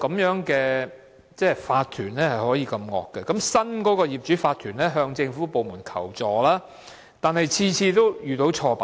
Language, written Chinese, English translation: Cantonese, 原有法團竟可這麼惡，即使新的業主法團向政府部門求助，但每次也遇到挫敗。, How can the previous OC be so unreasonable? . The new OC has sought assistance from government departments yet they suffered a setback every time